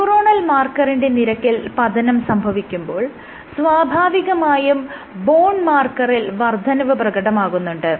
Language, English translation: Malayalam, So, drop in neuronal marker increase in bone marker